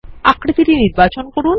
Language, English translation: Bengali, Select the shape